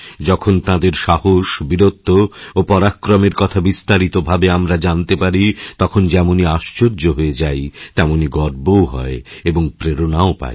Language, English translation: Bengali, When we get to know the in depth details of their courage, bravery, valour in detail, we are filled with astonishment and pride and we also get inspired